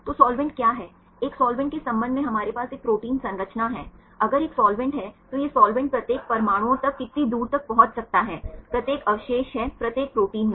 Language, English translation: Hindi, So, what is the solvent; with the respect to a solvent we have a protein structures if there is a solvent how far this solvent can reach each atoms are each residues in a particular protein right